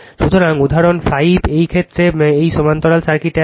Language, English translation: Bengali, So, example 5 in this case this parallel circuit is there